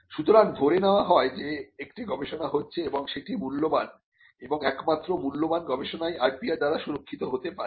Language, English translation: Bengali, So, there is an assumption that there is research that is valuable and only if there is research that is valuable, can that be protected by intellectual property rights